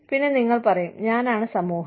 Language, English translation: Malayalam, And, you will say, I am the society